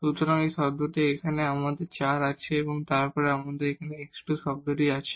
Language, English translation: Bengali, So, this is the term here, we have the 4, then we have a x square term